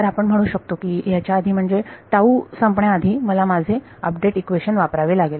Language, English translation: Marathi, Now we can say that before this before the lapse of tau I should use my update equation